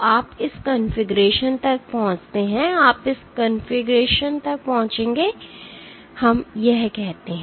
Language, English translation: Hindi, So, you reach this configuration you reach this configuration let us say